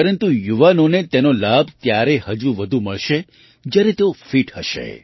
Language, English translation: Gujarati, But the youth will benefit more, when they are fit